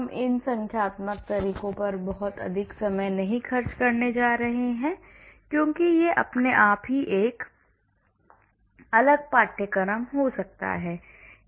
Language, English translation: Hindi, I am not going to spend too much time on these numerical methods because that itself can be a separate course on its own